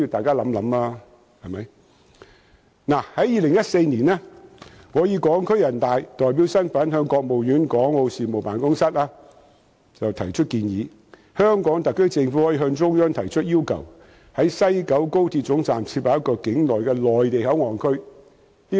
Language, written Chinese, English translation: Cantonese, 在2014年，我以港區人大代表身份向國務院港澳事務辦公室建議，香港特區政府可向中央提出要求，在西九高鐵站設立一個境內的內地口岸區。, In 2014 I proposed to the Hong Kong and Macao Affairs Office of the State Council in my capacity as a Hong Kong Deputy to the National Peoples Congress NPC that the Hong Kong SAR Government might request the Central Authorities to set up a Mainland Port Area MPA at WKS